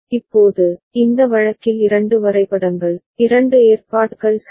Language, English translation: Tamil, Now, we see here in this case two diagrams, two arrangements ok